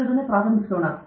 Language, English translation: Kannada, Let me start research